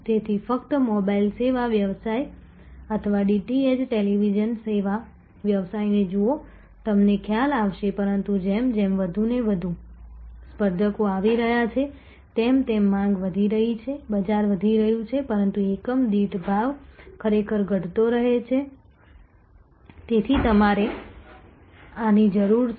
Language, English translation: Gujarati, So, just look at the mobile service business or DTH televisions service business and so on, you will realize, but as more and more competitors coming the demand is growing market is growing, but price per unit actually keeps falling, so you need to therefore, your cost per unit also must fall, so that you maintain this difference